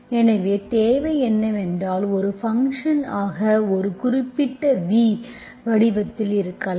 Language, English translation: Tamil, So what is required is, if you are looking for mu as a function of, as a v, v can be in specific form